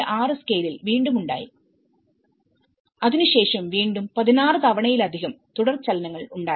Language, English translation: Malayalam, 6 scale and again after that it has keep receiving more than 16 times aftershocks